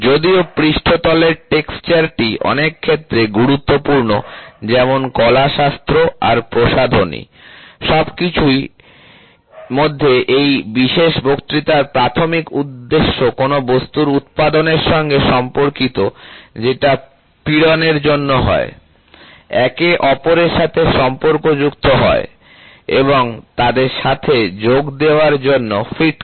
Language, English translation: Bengali, Even though, surface is important in many fields of interest such as aesthetic and cosmetic, amongst others, the primary concern in this particular lecture pertains to manufacturing items that are subjected to stress, move in relation to one another, and have a close fits of joining them